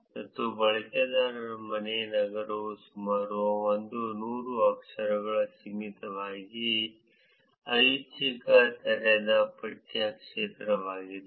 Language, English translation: Kannada, And the user home city is an optional open text field limited to about 100 characters